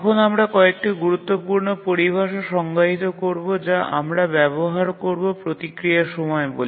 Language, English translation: Bengali, Now let's define another important terminology that we'll be using is the response time